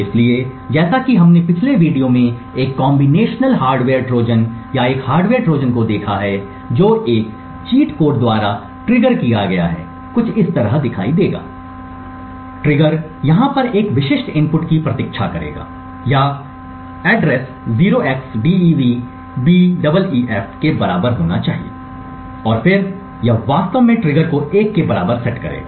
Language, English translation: Hindi, So as we have seen in the previous video a combinational hardware Trojan or a hardware Trojan which is triggered by a cheat code would look something like this, the trigger would wait for a specific input over here or the address should be equal to 0xDEADBEEF and then it would actually set the trigger to be equal to 1